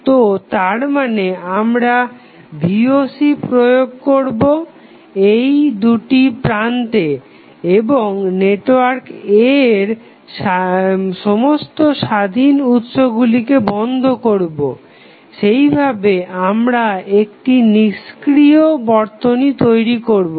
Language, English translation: Bengali, So, that means we will apply Voc across these 2 terminal and turn off or zero out every independent source in the network A then what will happen we will form an inactive network